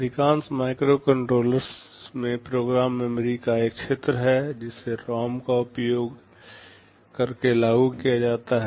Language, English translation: Hindi, In most microcontrollers there is an area of program memory which is implemented using ROM